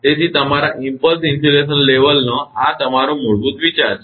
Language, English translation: Gujarati, So, this is your idea of basic your impulse insulation level